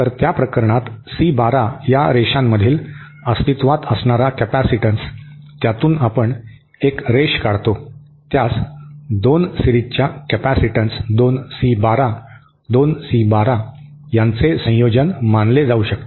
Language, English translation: Marathi, So, in that case the capacitance that exist between the lines C 12, that, we draw a line through it, that can be considered as a combination of 2 series capacitances 2 C 12, 2C 12